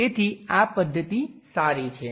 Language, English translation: Gujarati, So, this method is good